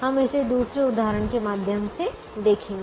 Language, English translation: Hindi, we will look at it through another example